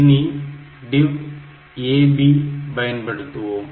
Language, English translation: Tamil, So, I said DIV AB ok